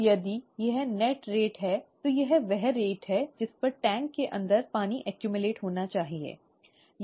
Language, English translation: Hindi, Now, if this is the net rate, this is the rate at which water should get accumulated inside the tank, right